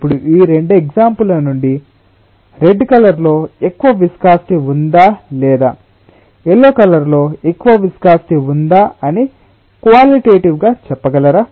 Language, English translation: Telugu, yeah, now can you tell from these two examples, just qualitatively, whether the red one has more viscosity or the yellow one has more viscosity